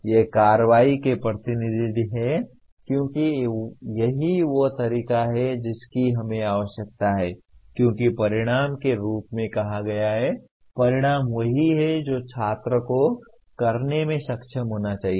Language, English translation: Hindi, They are representative of action because that is the way we require because outcome is stated as, outcome is what the student should be able to do